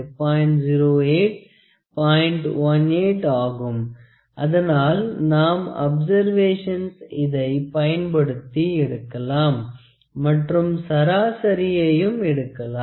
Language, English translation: Tamil, 18, so, we can do multiple observations using this and take an average